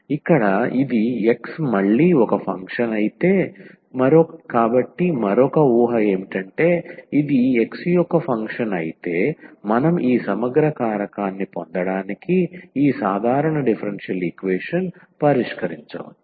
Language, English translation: Telugu, So, if this one here is a function of x again; so, another assumption, that if this is a function of x alone then the we can solve perhaps this ordinary differential equation to get this I the integrating factor